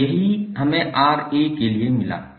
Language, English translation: Hindi, And this is what we got for Ra